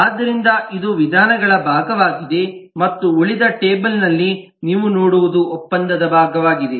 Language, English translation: Kannada, so this is the method part and what you see in the rest of the table is a contract part